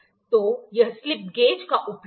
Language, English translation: Hindi, So, this is the use of slip gauges